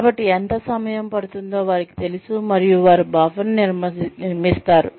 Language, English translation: Telugu, So, they know, how much time, it will take, and they build a buffer in